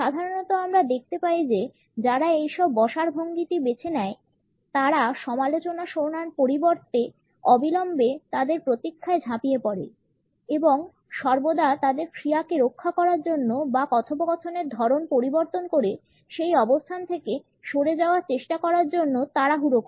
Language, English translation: Bengali, Normally, we find that people who opt for this sitting posture jump to their defense immediately instead of listening to the criticism and are always in a hurry either to defend their actions or to try to wriggle out of that position by changing the conversation patterns